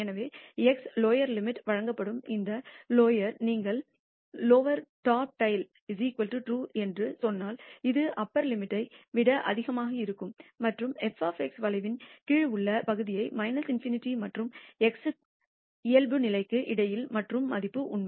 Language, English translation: Tamil, So, x will be taken as the lower limit and infinity is the higher limit if you say lower dot tail is equal to TRUE it will take excess the upper limit and do the area in under the curve f of x between minus in nity and x the default value is TRUE